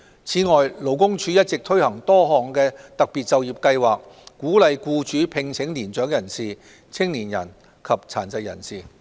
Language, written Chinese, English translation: Cantonese, 此外，勞工處一直推行多項特別就業計劃，鼓勵僱主聘請年長人士、青年人及殘疾人士。, In addition the Labour Department has been implementing a number of special employment programmes to encourage employers to employ elderly people young people and people with disabilities